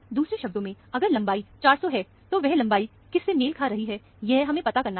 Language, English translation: Hindi, In other words, if this length is 400, what is this length corresponding to, that is all we need to find out